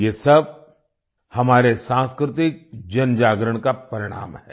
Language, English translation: Hindi, All this is the result of our collective cultural awakening